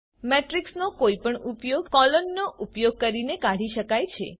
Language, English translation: Gujarati, Also, any subset of a matrix can be extracted using a colon (:)